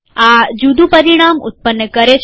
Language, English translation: Gujarati, This produces a different result